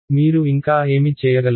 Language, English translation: Telugu, What else do you need to do